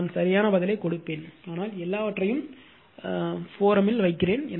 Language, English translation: Tamil, I will give you the correct answer, but put everything in the forum